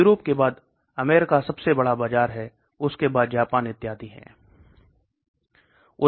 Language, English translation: Hindi, US is the biggest market followed by Europe, Japan and so on